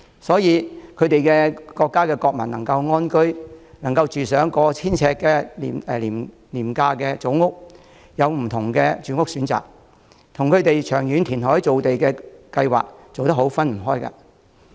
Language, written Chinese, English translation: Cantonese, 新加坡的國民能安居、能入住過千呎的廉價組屋、能有不同的住屋選擇，與他們有完善的長遠填海造地計劃分不開。, The fact that Singaporeans can live happily in affordable HDB flats of over 1 000 sq ft and have other housing options is closely related to its comprehensive and long - term reclamation plans